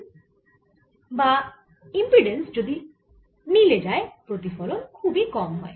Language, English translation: Bengali, if you match the impedance, reflected light is very low